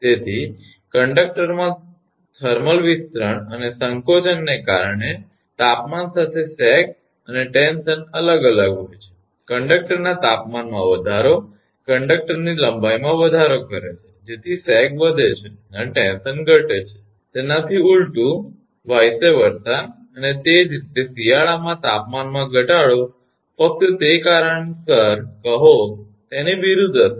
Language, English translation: Gujarati, So, sag and stress vary with temperature because of the thermal expansion and contraction of the conductor, temperature rise of conductor increase the length of conductor hence sag increases and tension decreases and vice versa, and similarly the temperature fall that is in winter say causes just opposite effect right